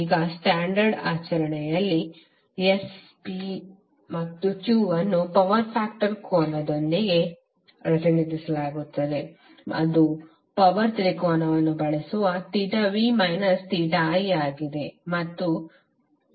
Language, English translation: Kannada, Now in standard practice thet S, P and Q are represented together with the power factor angle that is theta is nothing but theta v minus theta i using power triangle